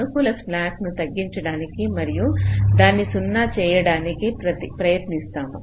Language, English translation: Telugu, so we try to decrease the positive slacks and try to make them zero